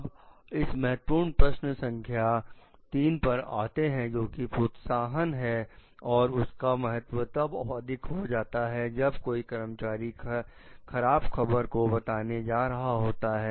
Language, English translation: Hindi, We will come to the Key Question 3; which is like, which is the incentive which matters most when like the employee is going to report a bad news